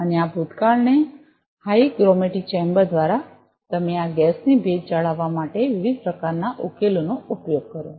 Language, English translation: Gujarati, And this past through a hygrometry chamber, so you use different types of solutions to maintain the humidity of this gas